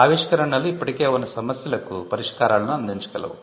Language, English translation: Telugu, Inventions can redefine an existing problem and solve it